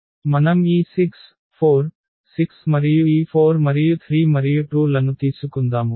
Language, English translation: Telugu, Any determinant we take this 6 4, 6 and this 4 and 3 and 2